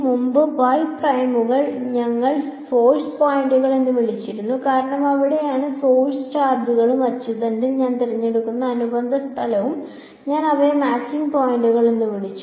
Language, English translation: Malayalam, Previously the y primes we call them as source points because that is where the source charges and the corresponding place where I choose along the axis, I called them matching points